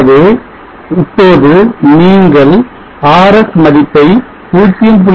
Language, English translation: Tamil, 1 then we would like to alter RS to 0